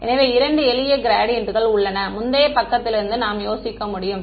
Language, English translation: Tamil, So, there are two simple gradients I can think of from the previous page